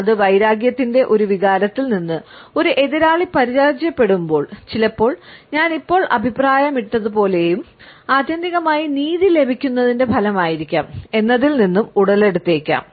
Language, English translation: Malayalam, It may stem forth from a sense of rivalry, whenever rival has been defeated and sometimes as I have commented just now, it may be the result of justice being served ultimately